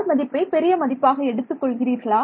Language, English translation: Tamil, Do you put r to be a large number